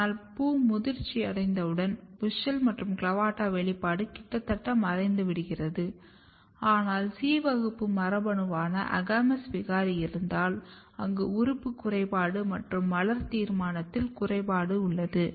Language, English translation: Tamil, But once the flower is mature you can see that WUSCHEL and CLAVATA three expression is almost disappeared, but if you have agamous mutant which is basically C class gene mutants where you have the organ defect as well as determinacy defect